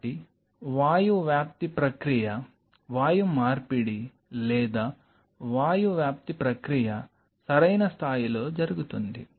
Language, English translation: Telugu, So, the gaseous diffusion process gaseous exchange or gaseous diffusion process happens at an optimal level right